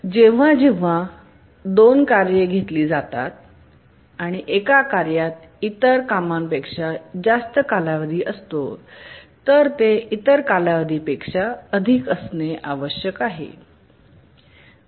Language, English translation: Marathi, Whenever we take two tasks, if one task has a higher period than the other task then it must be a multiple of the period